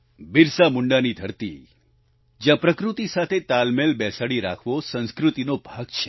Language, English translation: Gujarati, This is BirsaMunda's land, where cohabiting in harmony with nature is a part of the culture